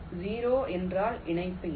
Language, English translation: Tamil, zero means no connection